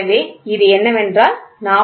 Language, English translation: Tamil, So, this is nothing, but 40